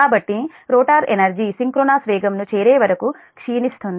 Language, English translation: Telugu, that means the rotor is running above synchronous speed